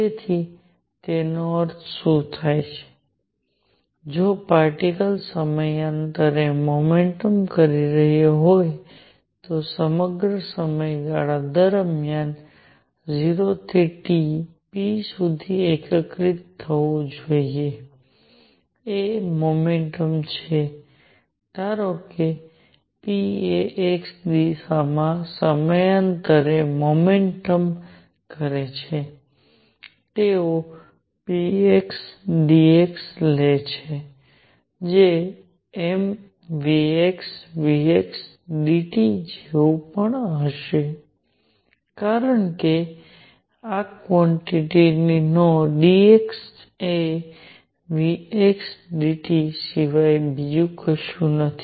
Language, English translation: Gujarati, So, what it means, if a particle is performing periodic motion then integrate over the entire period from 0 to T p is momentum suppose p performing periodic motion in x directions they take p x dx which will also be the same as m v x v x dt, because this quantity dx is nothing but v x dt